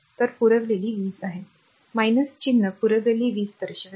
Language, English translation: Marathi, So, power supplied is minus sign indicates power supplied